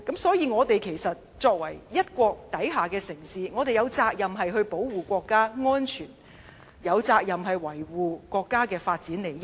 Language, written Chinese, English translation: Cantonese, 因此我們作為一國之下的城市，有責任保護國家安全，有責任維護國家發展利益。, Hence as a city under one country we are duty - bound to protect national security and safeguard the nations interests in its development